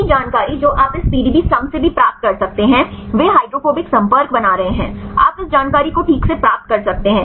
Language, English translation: Hindi, The same information you can also get from this a PDBsum, they are making the hydrophobic contacts right you can get from this information right fine